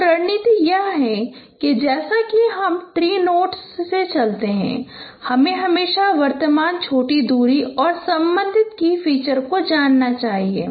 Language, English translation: Hindi, So the strategy is that as you work through the tree notes, you should always throw the current smallest distance and the respective key feature